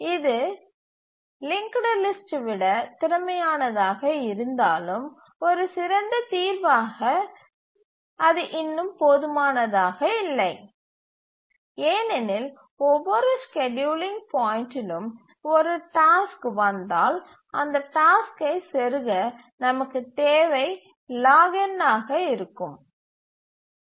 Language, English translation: Tamil, But you can see that this is a better solution than a linked list, more efficient, but then still it is not good enough because at each scheduling point we need to, if a task arrives, we need to insert the task in the heap which is log n